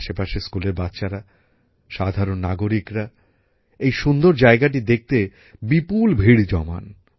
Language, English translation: Bengali, School children from the neighbourhood & common citizens throng in hordes to view this beautiful place